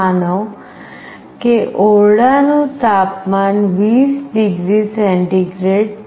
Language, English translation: Gujarati, Suppose, the room temperature is 20 degree centigrade